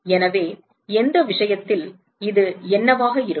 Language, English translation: Tamil, So, in which case what will this be